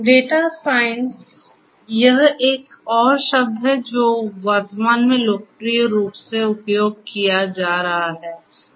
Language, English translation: Hindi, Data science; that is another term that is being used popularly at present